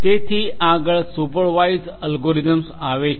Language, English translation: Gujarati, So, next comes the supervised learning algorithm